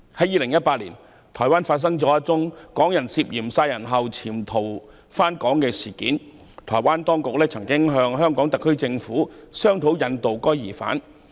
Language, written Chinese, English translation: Cantonese, 2018年發生了一宗港人涉嫌在台灣殺人後潛逃回港的事件，台灣當局曾向香港特區政府商討引渡疑犯。, In 2018 there was a case in which a person from Hong Kong was suspected of absconding to Hong Kong after killing somebody in Taiwan and the Taiwan authorities had discussed with the Hong Kong Special Administrative Region HKSAR Government the extradition of the suspect